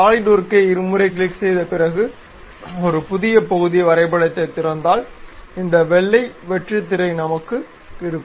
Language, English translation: Tamil, So, after double clicking our Solidworks, opening a new part drawing we will have this white blank screen